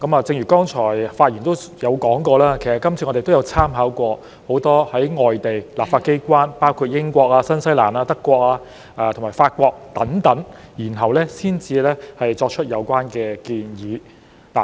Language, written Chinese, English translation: Cantonese, 正如剛才有發言提到，我們這次也參考過很多外地立法機關，包括英國、新西蘭、德國和法國等地，然後才作出有關建議。, As mentioned in a speech just now we have also made reference to many overseas legislatures including those in the United Kingdom New Zealand Germany and France before putting forward the proposals this time around